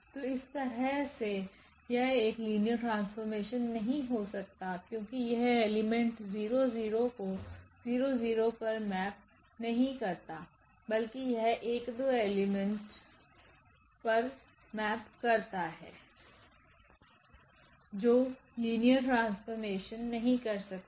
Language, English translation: Hindi, So, in this way this cannot be a linear map because it is not mapping 0 0 element to 0 0 element, but it is mapping 0 0 element to 1 2 element which cannot be a linear map